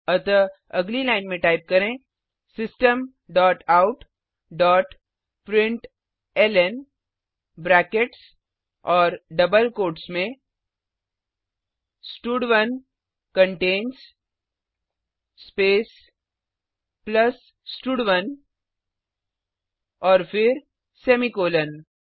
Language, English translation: Hindi, So next line type System dot out dot println within brackets and double quotes stud1 contains space plus stud1 and then semicolon